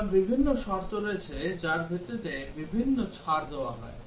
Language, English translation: Bengali, Now there are different conditions based on which different discounts are given